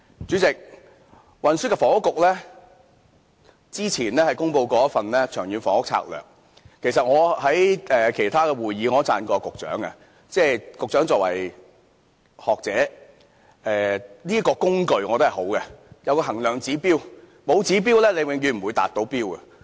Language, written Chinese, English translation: Cantonese, 主席，運輸及房屋局之前公布了一份《長遠房屋策略》，其實，我在其他會議上稱讚過局長，局長作為學者，我覺得這個工具是好的，有衡量指標，沒有指標便永遠無法達標。, President the Transport and Housing Bureau published a Long Term Housing Strategy LTHS earlier . In fact I have commended the Secretary on other meetings as he is a scholar and the LTHS is a good tool and indicator without which we can never gauge whether we can meet the target